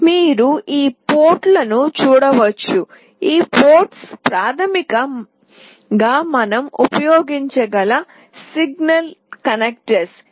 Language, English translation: Telugu, You can see these ports; these ports are basically signal connector that we can use